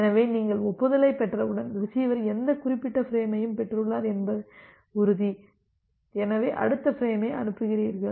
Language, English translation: Tamil, So, once you are receiving the acknowledgement, you are sure that the receiver has received this particular frame and so, you transmit the next frame